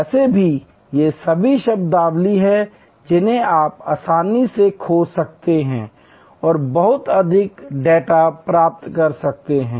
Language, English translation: Hindi, Anyway these are all terminologies that you can easily search and get much more data on